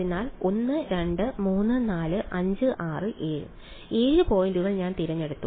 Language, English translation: Malayalam, So, 1 2 3 4 5 6 7; 7 points I have been chosen